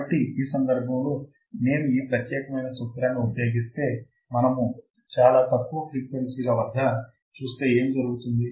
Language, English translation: Telugu, So, in this case, if I use this particular formula and if I see that at very low frequencies what will happen